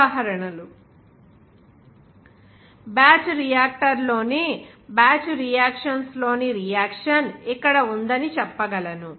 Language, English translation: Telugu, Examples We can say that the reaction in batch reaction here in a batch reactor